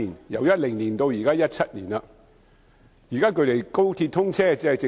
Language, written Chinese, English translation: Cantonese, 由2010年到2017年 ，7 年已過但仍未能解決。, It has been seven years from 2010 to 2017 yet they remain unresolved